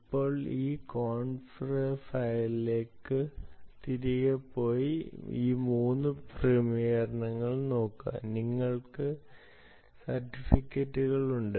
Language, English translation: Malayalam, what you do is go back to this conf file and look at all these, ah, these three settings, you have the certificates